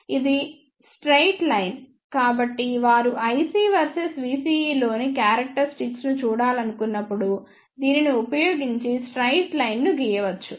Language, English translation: Telugu, It is a straight line, so one can draw a straight line using this when they want to see the characteristics in i C verses v CE